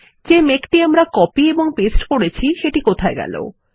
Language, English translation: Bengali, Where is the cloud that we copied and pasted